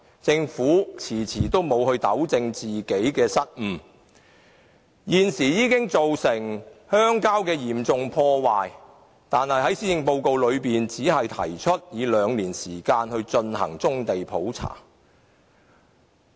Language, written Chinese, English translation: Cantonese, 政府遲遲不糾正自己的失誤，造成鄉郊遭受嚴重破壞，但在施政報告中，政府只提出以兩年時間進行棕地普查。, The Government has never rectified the problem which has led to serious damages made to the countryside . And all that the Government has proposed in the Policy Address is to spend two years on conducting a brownfield survey